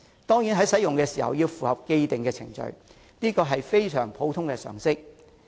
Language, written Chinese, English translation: Cantonese, 當然，使用的時候要符合既定程序，這是非常普通的常識。, Surely certain established procedures have to be followed when using these passageways . That is a common sense understanding